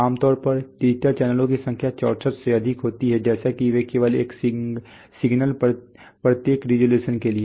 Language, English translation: Hindi, Typically number of digital channels are much more 64, like that because they take only one signal each, resolution says what